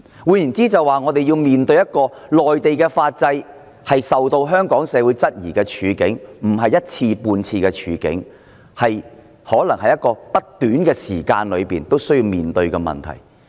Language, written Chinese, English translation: Cantonese, 換言之，我們可能不止一次半次要面對內地法制受到香港社會質疑的處境，在不短的時間內我們可能仍要面對這個問題。, That is to say Hong Kong society is likely to question the Mainland legal system for a few more occasions; and we may still need to face this problem in the near future